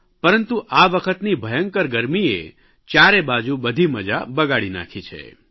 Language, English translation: Gujarati, But this year the sweltering heat has spoilt the fun for everybody